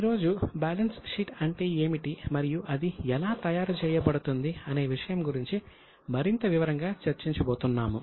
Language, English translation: Telugu, Today we are going to discuss further in detail about what is balance sheet and how it is prepared